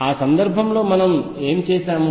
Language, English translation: Telugu, What did we do in that case